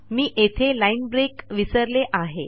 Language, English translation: Marathi, O.K., I forgot the line break